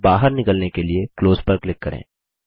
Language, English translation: Hindi, Click Replace.Click Close to exit